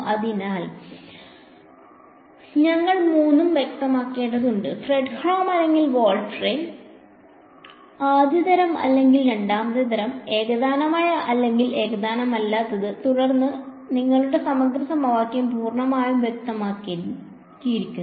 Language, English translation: Malayalam, So, we need to specify all three: Fredholm or Volterra, first kind or second kind, homogeneous or non homogeneous then your integral equation is fully specified